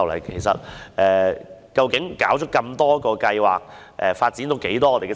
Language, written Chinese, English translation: Cantonese, 其實，以往不是每個計劃也成功的。, In fact not every scheme or project gained success in the past